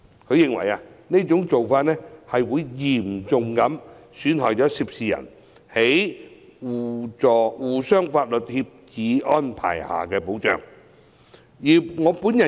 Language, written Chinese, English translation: Cantonese, 他認為，這種做法會嚴重損害涉事人在《刑事事宜相互法律協助條例》下所獲得的保障。, Mr TO believes such a practice will seriously undermine the protection afforded to the persons concerned under the Mutual Legal Assistance in Criminal Matters Ordinance